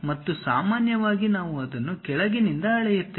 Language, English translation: Kannada, And usually we measure it from bottom all the way to that